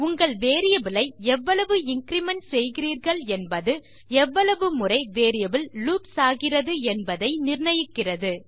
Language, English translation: Tamil, So how much you want to increment your variable determines the number of times your variable loops by